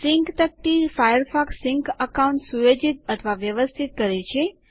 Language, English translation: Gujarati, The Sync panel lets you set up or manage a Firefox Sync account